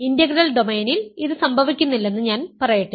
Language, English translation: Malayalam, I am saying that it does not happen in integral domain